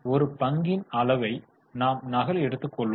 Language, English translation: Tamil, So, for one share, I will copy it here